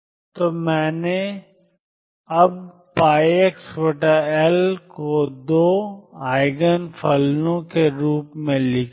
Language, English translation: Hindi, So, I have written now sin cube pi x over L in terms of 2 Eigen functions